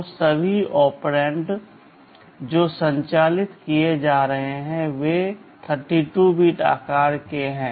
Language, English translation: Hindi, So, all operands that are being operated on are 32 bits in size